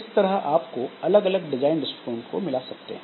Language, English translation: Hindi, So, in this way you can find the mix of different design philosophies